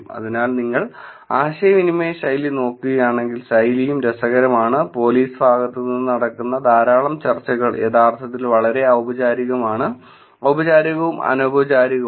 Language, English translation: Malayalam, So, if you look at the communication style, the style is also interesting that lot of discussions that happen on from the police side is actually very formal; formal versus in informal